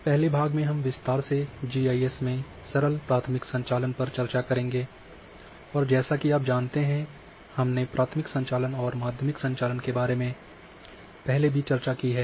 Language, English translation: Hindi, So, in first part we will discuss the simple primary operations in GIS or in little detail and as you know that we have discussed about primary operations and secondary operations